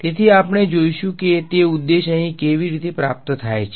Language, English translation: Gujarati, So, we will see how that objective is achieved over here